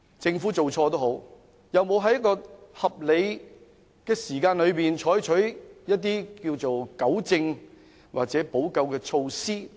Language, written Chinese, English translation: Cantonese, 政府有沒有在合理時間內採取一些糾正或補救措施等？, Has the Government taken corrective or remedial measures within a reasonable time?